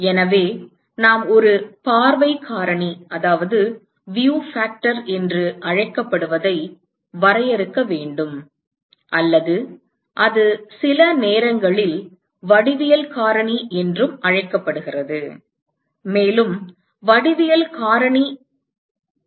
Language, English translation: Tamil, So, we need to define what is called a view factor or it is also sometimes called a geometric factor, also called a geometric factor